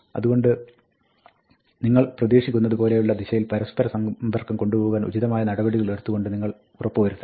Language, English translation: Malayalam, So, you must take appropriate action to make sure that the interaction goes in the direction that you expect